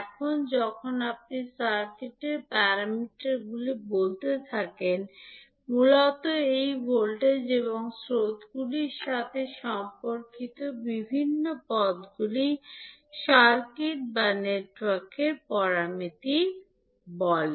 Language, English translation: Bengali, Now, when you say circuit parameters basically the various terms that relate to these voltages and currents are called circuit or network parameters